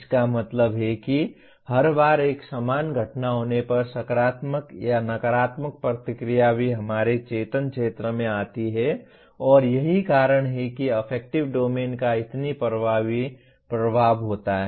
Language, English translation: Hindi, That means every time a similar event occurs the same positive or negative reaction also comes into our conscious area and that is the reason why affective domain has such a dominant effect